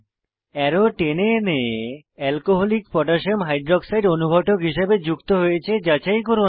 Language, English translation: Bengali, Drag arrow to check if Alcoholic Potassium Hydroxide (Alc.KOH) attaches to the arrow, as a catalyst